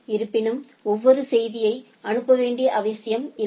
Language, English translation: Tamil, However, it is not required to send for every message